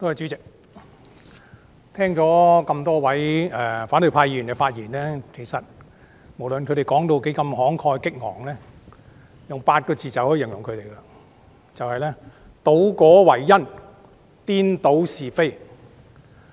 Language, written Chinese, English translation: Cantonese, 主席，我聽了多位反對派議員的發言，其實，無論他們何等慷慨激昂，我用8個字便足以容形了：倒果為因，顛倒是非。, President I have listened to the speeches made by a number of Members from the opposition camp . Actually despite their impassioned delivery I may conclude them with two phrases presenting the outcome as the causes and confounding right and wrong